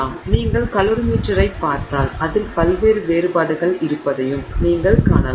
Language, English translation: Tamil, So, if you look at the calorie meter you should you can also see that you know there are various variations on it